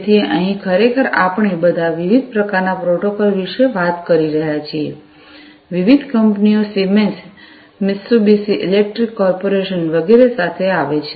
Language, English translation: Gujarati, So, here actually we are talking about all different types of protocols, different companies came up with Siemens, you know, Mitsubishi electric corporation etcetera